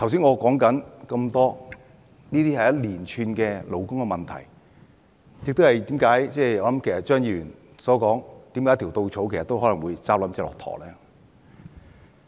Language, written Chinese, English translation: Cantonese, 我剛才提出的眾多例子，都是一連串的勞工問題，亦說明了為何張議員說一條稻草都可能壓垮駱駝。, Meanwhile do not forget that there is the issue of legislating for standard working hours . The many examples I just mentioned cover a series of labour issues and illustrate the reason for Mr CHEUNG to have remarked that a straw could possibly break a camels back